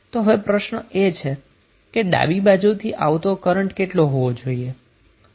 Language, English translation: Gujarati, So what would be the current coming inside from left